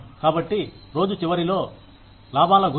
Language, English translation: Telugu, So, at the end of the day, it is all about profits